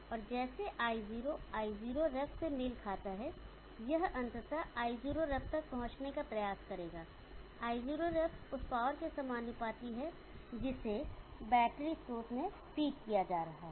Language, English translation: Hindi, And as I0 matches I0 ref it will ultimately try to reach the I0 not ref, I0 ref is proportional to the power that is being fed into the battery source